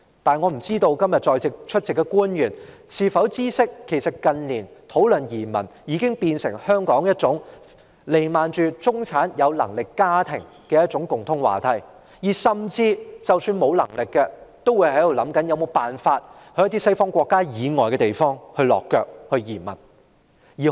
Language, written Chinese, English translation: Cantonese, 不過，我不知今天出席的官員是否知悉，近年討論移民已成為香港有能力的中產家庭的共通話題，而即使沒有能力的，亦會設法到一些西方國家以外的國家落腳和移民。, Yet I wonder if government officials attending todays meeting know that emigration has become a common discussion topic among well - off middle - class families in Hong Kong . Even for the less well - off they will try to settle in or emigrate to countries other than Western countries